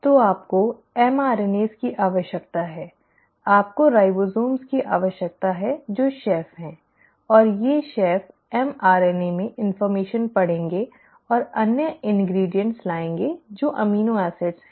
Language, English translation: Hindi, So you need mRNAs, you need ribosomes which are the chefs, and these chefs will read the information in the mRNA and bring in the other ingredients which are the amino acids